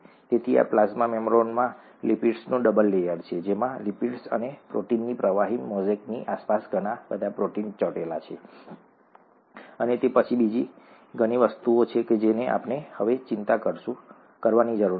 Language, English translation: Gujarati, So this plasma membrane has a double layer of lipids with a lot of proteins sticking around a fluid mosaic of lipids and proteins, and then there are various other things which we will not worry about now